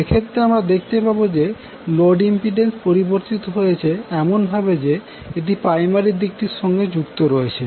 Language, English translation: Bengali, So, in that case what you will do you will take the load impedance converted as if it is connected to the primary side